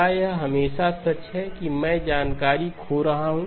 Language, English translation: Hindi, Is it always true that I am losing information